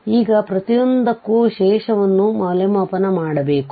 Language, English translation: Kannada, Now, for each we have to evaluate the residue